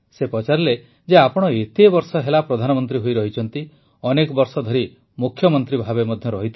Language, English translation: Odia, She said "You have been PM for so many years and were CM for so many years